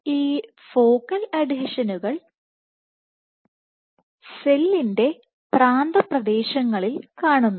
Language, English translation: Malayalam, These focal adhesions are present at the cell periphery